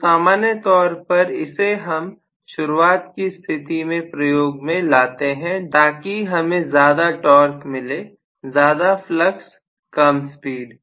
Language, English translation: Hindi, So, generally we would use this during starting condition, so that we get more torque, more flux, less speed